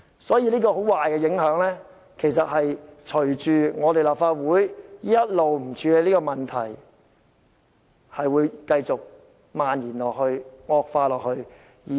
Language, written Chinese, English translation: Cantonese, 所以，這種很壞的影響隨着立法會一直不處理這個問題而繼續漫延、惡化下去。, The non - action of the Legislative Council will let the negative effects spread over and aggravate